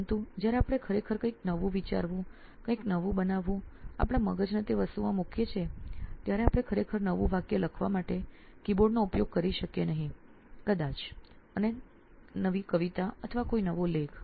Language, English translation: Gujarati, but when we actually want to think something new, create something new, put our brain into that thing we cannot use a keyboard to actually write a new sentence, maybe and you poem, or a new article